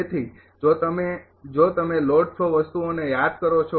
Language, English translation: Gujarati, So, if you if you if you recall the load flow things